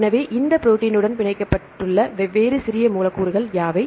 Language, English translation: Tamil, So, what are the different small molecules binds to this protein